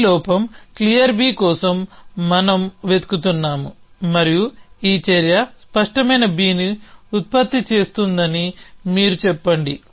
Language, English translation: Telugu, So, let us say we look for this flaw clear B and you say this action is producing clear B